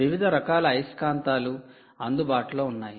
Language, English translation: Telugu, different types of magnets are available, right